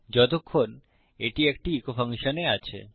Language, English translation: Bengali, Unless its in an echo function